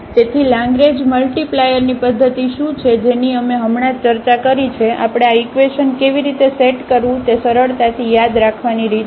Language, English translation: Gujarati, So, what is the method of the Lagrange multiplier which we have just discussed we can there is a way to remember easily how to set up these equations